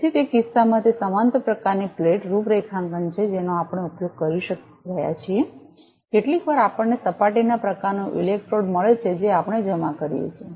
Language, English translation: Gujarati, So, in that case it is a parallel kind of plate configuration we are using sometimes we get surface type of electrode we deposit